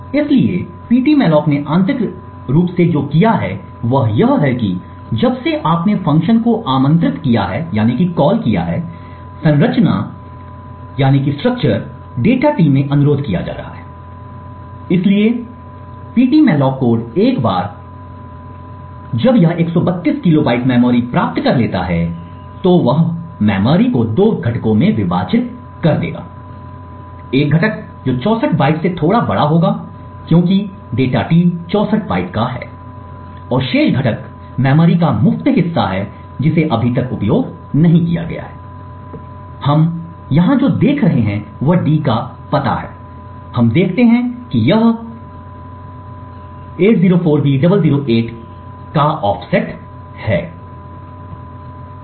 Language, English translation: Hindi, So what Ptmalloc has done internally is that since you have invoked the function requesting a structure data T to be allocated in the heap, so Ptmalloc code once it has obtained the 132 kilobytes of memory would split this memory into two components, one component which would be slightly larger than 64 bytes because data T is 64 bytes and the remaining component is the free chunk of memory which has not yet been utilized, what we see over here is the address of d we see that it is an offset of 804b008